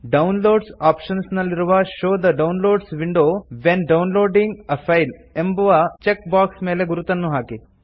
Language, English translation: Kannada, In the Downloads option put a check on the check box Show the Downloads window when downloading a file